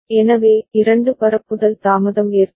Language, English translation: Tamil, So, two propagation delay will get involved